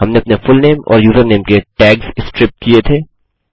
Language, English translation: Hindi, We have striped the tags off our fullname and username